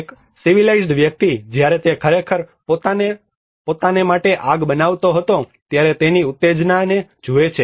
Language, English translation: Gujarati, A civilized person look at the excitement which he had of when he actually makes fire for himself